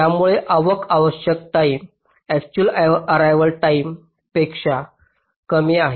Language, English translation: Marathi, so the required arrival time is less than the actual arrival time